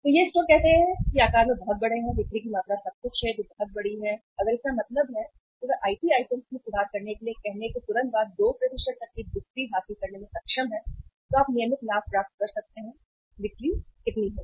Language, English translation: Hindi, So these stores which are very big in uh say size, sales amount everything which are very big if means they are able to gain the sales by 2% just immediately after say putting in place the improved IT systems so you can make out that regular gain of the sales will be how much